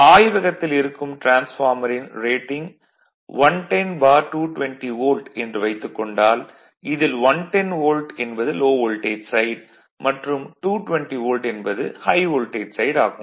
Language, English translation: Tamil, Suppose your transformer is 110 by 220 Volt in the laboratory say then, low voltage side is 110 Volt and high voltage side is your what you call 220 Volt